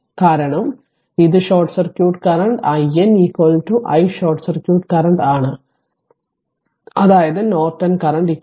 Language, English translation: Malayalam, Because this is short circuit current i n is equal to your i short circuit, that is your Norton current right 2